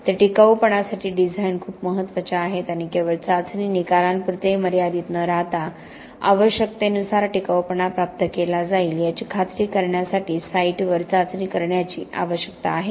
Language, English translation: Marathi, He has been a strong proponent of design for durability and the need to do test at the site for ensuring that the durability is achieved as per the requirements not just restricting to test results